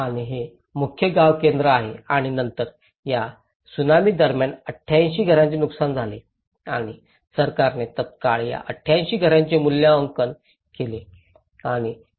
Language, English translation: Marathi, And this is the main village centre and then 88 houses were damaged during this Tsunami and immediately the government have done the assessment of these 88 houses